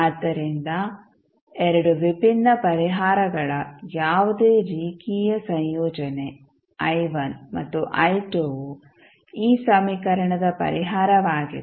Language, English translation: Kannada, So, any linear combination of the 2 distinct solutions that is i1 and i2 is also a solution of this equation